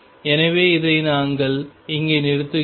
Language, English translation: Tamil, So, we stop here on this